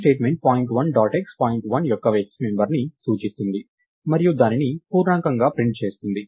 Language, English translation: Telugu, So, this statement will look at point 1 dot x the x member of point 1 and print it as an integer and look at the y member of point 1 and print it as an integer